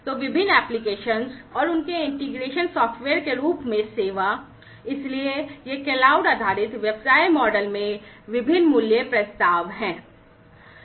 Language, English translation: Hindi, So, different applications and their integration software as a service; so, these are the different value propositions in the cloud based business model